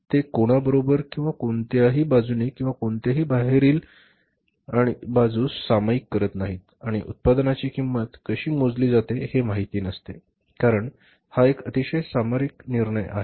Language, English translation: Marathi, They don't share it with anybody or any other side or any outside firm and outsiders don't know how the cost of the product is calculated because it is a very strategic decision